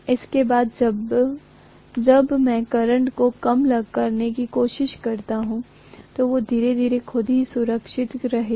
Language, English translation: Hindi, After that when I am trying to reduce the current, they are going to slowly realign themselves